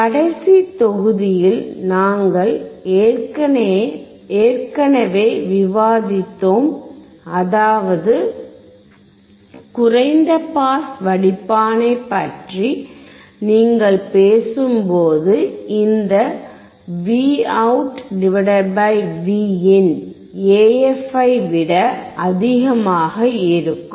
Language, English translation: Tamil, We have already discussed in the last module, that when you talk about low pass filter, this would be Vout / Vin would be greater than AF